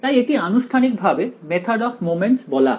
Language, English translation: Bengali, So, this is formally called the method of moments straight forward